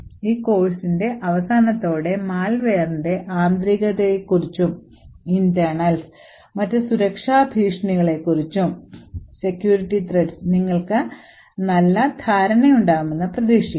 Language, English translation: Malayalam, So what you can expect by the end of this course is that you will have a good understanding about the internals of malware and other security threats